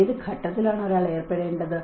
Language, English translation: Malayalam, To what stage one has to be engaged